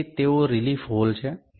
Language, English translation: Gujarati, So, they are relief holes